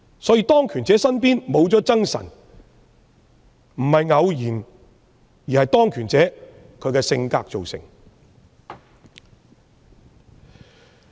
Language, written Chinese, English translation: Cantonese, 所以，當權者身邊沒有諍臣，並非偶然，而是當權者的性格造成。, Therefore it is not a coincidence for people in power to have no frank subordinates around them . It all comes down to the character of the people in power